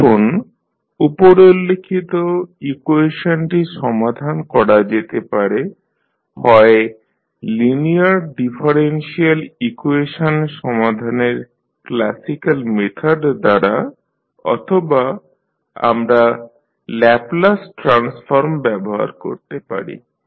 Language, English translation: Bengali, Now, the above equation can be solved using either the classical method of solving the linear differential equation or we can utilize the Laplace transform